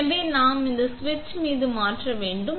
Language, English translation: Tamil, So, we just turn it to the ON switch